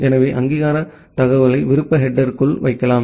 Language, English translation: Tamil, So, the authentication information can be put inside the optional header